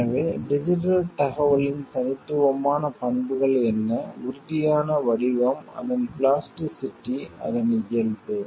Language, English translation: Tamil, So, what are the distinctive characteristics of digital information is no tangible form, its plasticity, its nature